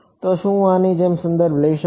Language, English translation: Gujarati, So, can I refer to like this